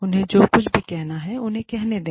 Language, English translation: Hindi, Let them say, whatever they are saying